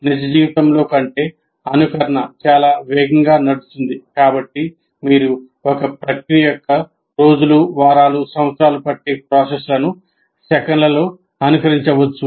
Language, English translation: Telugu, As simulation can run through time much quicker than real life, you can simulate days, weeks or years of a process in seconds